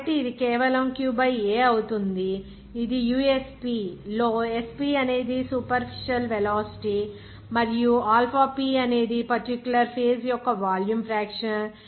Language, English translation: Telugu, So, it will be simply Q by A is nothing but usp that is superficial velocity and alpha p is the volume fraction of that particular phase